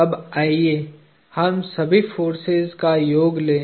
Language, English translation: Hindi, So, let us compute the summation of all the forces